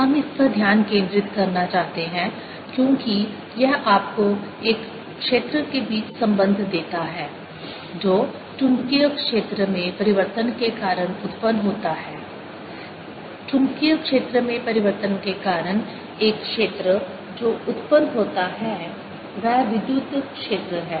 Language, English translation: Hindi, we want to focus on this because this gives you a relationship between of field which is generated due to change in magnetic fields, of field which is due to is generated is the electric field due to change in magnetic field